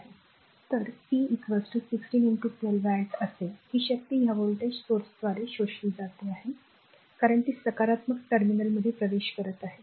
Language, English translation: Marathi, So, p will be is equal to your 16 into 12 watt this power it is being absorbed by this voltage source because it is entering into the positive terminal right